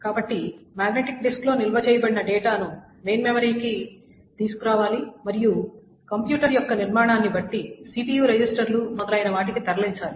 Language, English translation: Telugu, So the data that is stored in a magnetic disk must be brought to main memory and perhaps more to the CPU registers, etc